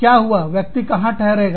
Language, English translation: Hindi, Where did the person stay